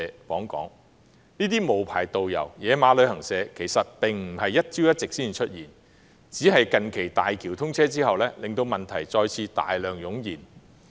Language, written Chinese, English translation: Cantonese, 其實，這些無牌導遊及"野馬"旅行社的出現並非一朝一夕，只是近期大橋通車後令問題再次大量湧現。, In fact these unlicensed tourist guides and unauthorized travel agents have not emerged overnight; but the recent commissioning of HZMB has caused the problems to surface again